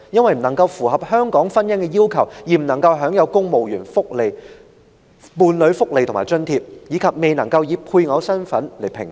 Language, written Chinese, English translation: Cantonese, 他們因不符合香港婚姻的要求而未能享有公務員伴侶福利及津貼，亦不能以配偶身份合併評稅。, They were not entitled to civil service welfare benefits for married couples neither were they allowed to be jointly assessed under salaries tax because their marriage was deemed invalid under the definition of marriage in Hong Kong